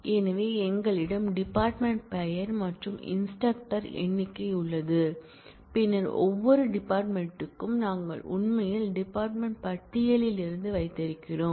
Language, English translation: Tamil, So, we have department name and the number of instructor, then for each and every department; that we actually have from the department list